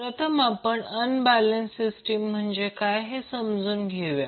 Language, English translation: Marathi, First let us understand what is unbalanced system